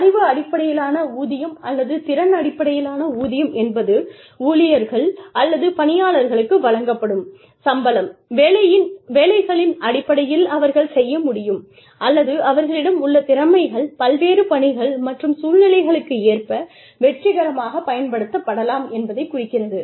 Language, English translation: Tamil, Knowledge based pay or skill based pay, refers to the fact that, employees are, or the salary that employees are paid, on the basis of the jobs, they can do, or the talents, they have, that can be successfully applied, to a variety of tasks and situations